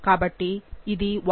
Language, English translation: Telugu, So, this would be the 1